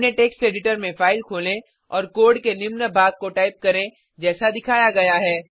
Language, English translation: Hindi, Open a file in your text editor and type the following piece of code as shown